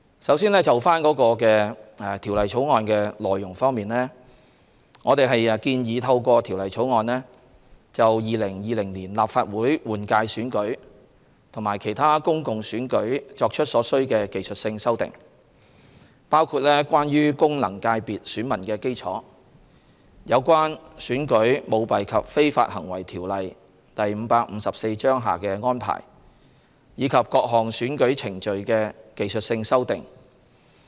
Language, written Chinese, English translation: Cantonese, 首先，就《條例草案》的內容方面，我們建議透過《條例草案》就2020年立法會換屆選舉及其他公共選舉作出所需的技術性修訂，包括關於功能界別選民基礎、有關《選舉條例》下的安排，以及各項選舉程序的技術性修訂。, First of all in respect of the content of the Bill we propose by means of the Bill to introduce the necessary technical legislative amendments for the 2020 Legislative Council General Election and other public elections including technical amendments concerning the electorate of the functional constituencies FCs the arrangements in the Elections Ordinance Cap . 554 ECICO as well as various electoral procedures